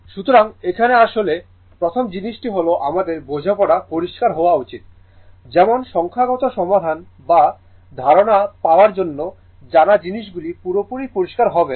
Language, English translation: Bengali, So, here actually ah first thing is that you know our understanding should be clear, such that you know for for solving numericals or for getting ideas things will be totally clear, right